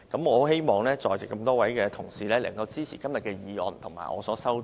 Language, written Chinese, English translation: Cantonese, 我希望在席多位同事能支持今天的議案及我提出的修正案。, I hope that colleagues present here will support todays motion and my amendment